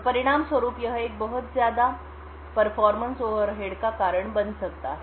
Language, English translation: Hindi, So, this could cause quite a considerable performance overhead